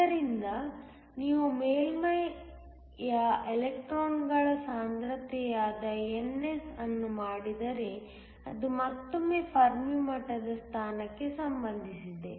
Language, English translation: Kannada, So, if you were to do that NS which is the concentration of electrons of the surface it is again related to the position of the fermi level